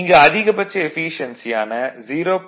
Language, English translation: Tamil, So, maximum efficiency of transformer is 0